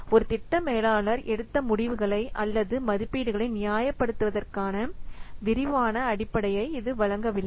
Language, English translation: Tamil, It does not provide any detailed basis for justifying the decisions or the estimates that a project manager has made